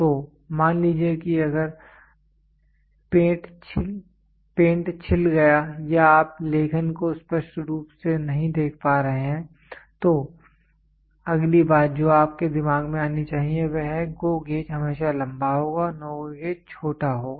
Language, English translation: Hindi, So, suppose if the paint peels off or you are not able to clearly see the writing, then the next thing which should strike your mind is GO gauge will always be longer no GO gauge will be shorter